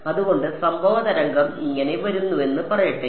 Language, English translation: Malayalam, So, let us say the incident wave is coming like this